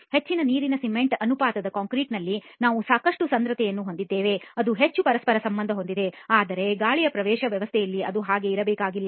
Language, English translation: Kannada, In a high water cement ratio concrete we have a lot of porosity which is going to be highly interconnected, but in air entrained system it need not be like that